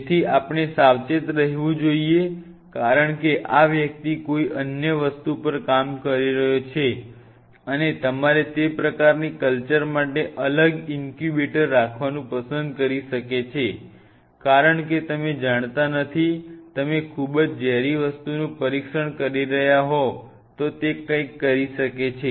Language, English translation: Gujarati, So, we have to be careful because this individual is working on something else and you have to may prefer to have a separate incubator for those kinds of cultures because you do not know because you are testing something very toxic it may make up with something right